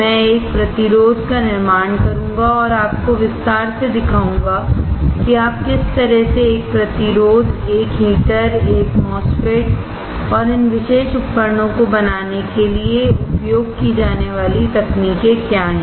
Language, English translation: Hindi, I will fabricate one resistor, and will show you in detail, how you can fabricate a resistor, a heater a MOSFET, and what are technologies used for fabricating these particular devices